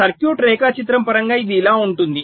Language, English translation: Telugu, so in terms of a circuit diagram it can look like this